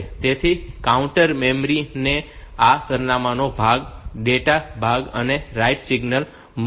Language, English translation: Gujarati, So, the counter memory will get this address part data part and the right signal